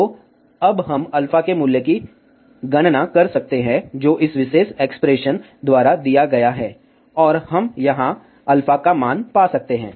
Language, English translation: Hindi, So, now we can calculate the value of alpha, which is given by this particular expression, and we can find the value of alpha over here